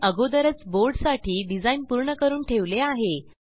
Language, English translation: Marathi, I have already completed the design for this board here